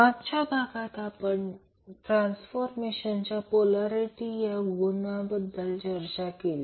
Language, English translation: Marathi, So in last class we were discussing about the transformer polarity